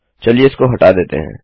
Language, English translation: Hindi, Lets get rid of this